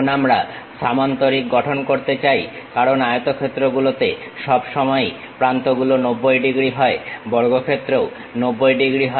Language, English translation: Bengali, Now, parallelogram we would like to construct because rectangles always make those edges 90 degrees, squares also 90 degrees